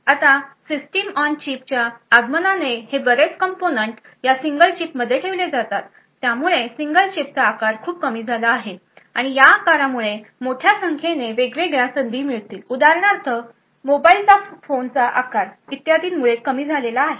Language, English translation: Marathi, Now with the advent of the System on Chip and lot of all of this components put into a single chip the size has reduced considerably and this size actually cost a large number of different opportunities for example the size of mobile phones etc